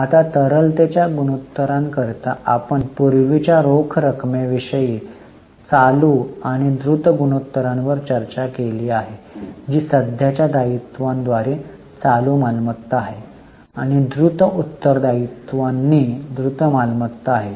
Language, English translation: Marathi, Now for liquidity ratio we have discussed earlier cash current and quick ratio, that is current assets by current liabilities and quick assets by quick liabilities